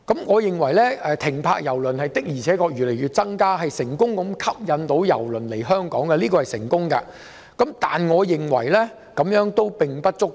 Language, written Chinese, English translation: Cantonese, 我認為郵輪停泊次數逐漸增加，顯示我們能成功吸引郵輪來港，但這樣並不足夠。, I think that the gradual increase in the number of calls indicates that we can successfully attract cruise liners to Hong Kong . But this is not enough